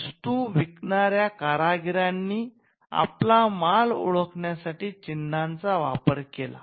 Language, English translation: Marathi, Now, craftsman who sold goods used marks to identify their goods